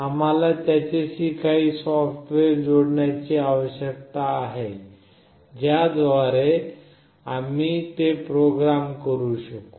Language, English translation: Marathi, We need to have some software associated with it through which we can program it